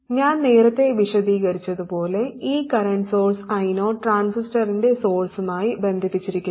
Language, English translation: Malayalam, This happens because I 0 the source, the current source is connected to the source of the transistor